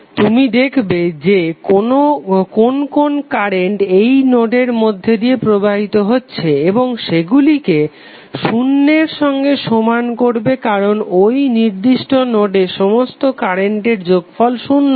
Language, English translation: Bengali, You will simply see what are the various currents flowing into the node and it equate it equal to zero because total sum of current at that particular node would be zero